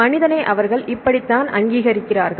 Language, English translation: Tamil, This is how they recognize the human